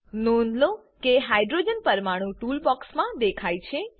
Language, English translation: Gujarati, Observe that Hydrogen atom appears in the tool box